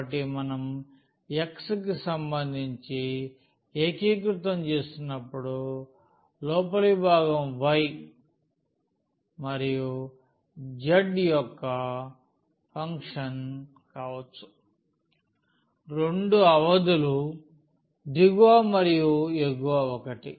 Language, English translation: Telugu, So, the inner one when we are integrating with respect to x the limits can be the function of y and z both the limits are lower and the upper one